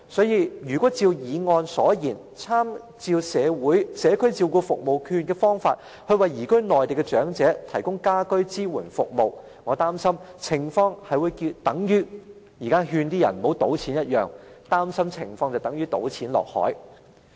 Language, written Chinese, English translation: Cantonese, 如果按照議案建議，參照長者社區照顧服務券試驗計劃，為移民內地的長者提供居家安老支援服務，我擔心情況會等於現時勸人不要賭錢的廣告般，如同"倒錢下海"。, If we truly follow the suggestion in the motion to draw reference from the Pilot Scheme on Community Care Service Voucher for the Elderly and provide home care support services for elderly persons residing on the Mainland I am afraid the situation will be like the anti - gambling advertisement that compares gambling to dumping money into the sea